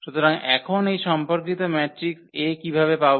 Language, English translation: Bengali, So, now, how to get this corresponding matrix A